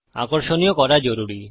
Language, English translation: Bengali, You need to be attractive